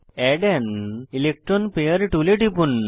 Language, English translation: Bengali, Click on Add an electron pair tool